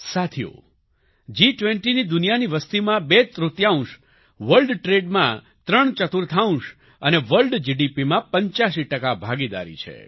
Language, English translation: Gujarati, Friends, the G20 has a partnership comprising twothirds of the world's population, threefourths of world trade, and 85% of world GDP